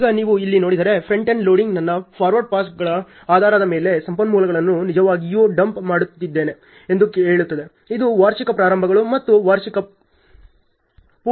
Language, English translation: Kannada, Now, if you see here the front end loading says I am actually dumping in resources based on my forward passes which implies yearly starts and the yearly finishes